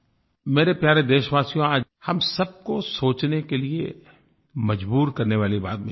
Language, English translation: Hindi, My dear fellow citizens, I now wish to talk about something that will compel us all to think